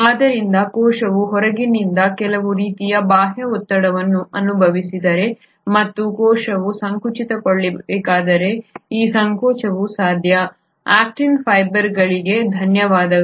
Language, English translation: Kannada, So if a cell has experienced some sort of an external pressure from outside and the cell needs to contract for example this contraction would be possible, thanks to the actin fibres